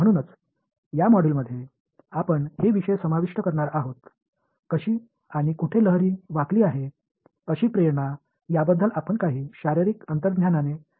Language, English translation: Marathi, So, these are the topics that we will cover in this module, we’ll start with some physical intuition about how and where wave seem to bend that such the motivation